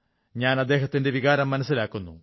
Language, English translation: Malayalam, I understand his sentiments